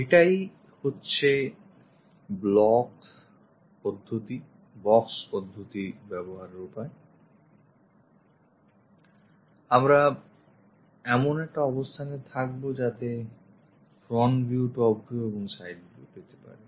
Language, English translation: Bengali, This is the way using block method box method, we will be in a position to get the front view, the top view and the side view